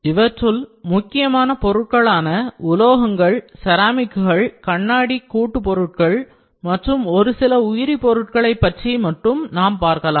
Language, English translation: Tamil, So, I will discussed the major parts here metals, ceramics, glass composites and some of the above materials, first is metals